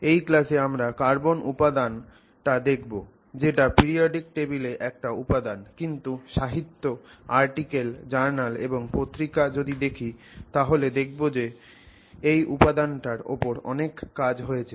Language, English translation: Bengali, So, in this class we are going to look at the material carbon which interestingly is just one element in the periodic table but if you actually look at literature, you look at articles that are there in, you know, journals and other magazines, you will find that there is significant amount of work that has been done on this material